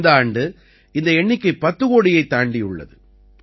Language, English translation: Tamil, This year this number has also crossed 10 crores